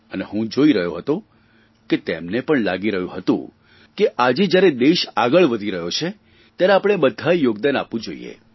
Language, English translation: Gujarati, I stressed this upon them and I noticed that they too realized that today when the nation is surging ahead, all of us must contribute to it